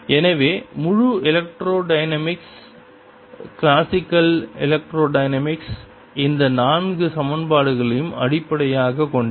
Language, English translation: Tamil, so entire electrodynamics, classical electrodynamics, is based on these four equations